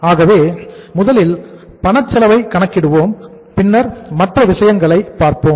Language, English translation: Tamil, So we will calculate first the cash cost and then we will do the other things